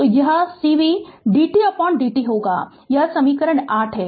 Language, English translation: Hindi, So, it will be cv dv by dt, this is equation 8